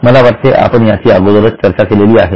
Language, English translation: Marathi, I think we have discussed it earlier